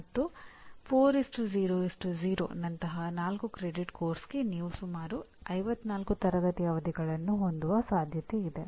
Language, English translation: Kannada, And for a 4 credit course like 4:0:0 you are likely to have about 54 classroom sessions